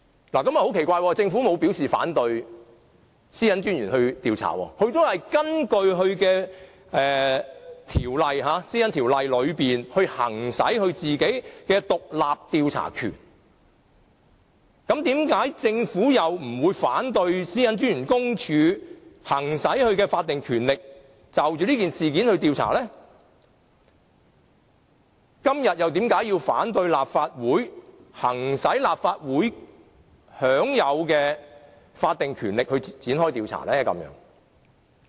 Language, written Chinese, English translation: Cantonese, 不過，很奇怪，政府沒有表示反對公署調查，而公署也是根據《個人資料條例》來行使其獨立調查權，那麼，為何政府不反對公署行使其法定權力，就這事件進行調查，但今天卻反對立法會行使立法會享有的法定權力而展開調查呢？, But very strangely the Government has never said it opposes PCPDs investigation . You see PCPD is also exercising its independent investigatory power under an ordinance the Personal Data Privacy Ordinance PDPO . Why does the Government not oppose PCPDs exercising of its statutory power to carry out an independent investigation into the incident but objects to the Legislative Councils proposal of exercising its statutory power to carry out an independent investigation?